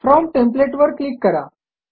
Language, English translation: Marathi, Click on From template